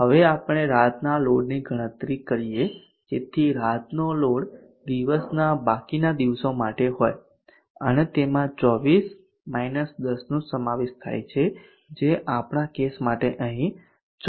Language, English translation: Gujarati, Now let us calculate the night load, so the night load is for the remainder of TD and it contains off 24 10, which is 14 hours for our case here